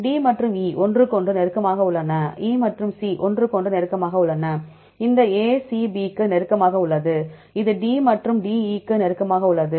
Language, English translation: Tamil, D and E are close to each other, E and C are close to each other and this AC is close to B, and this is close to D and DE